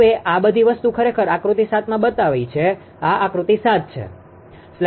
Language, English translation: Gujarati, Now, all this thing this is actually figure 7 this is figure 7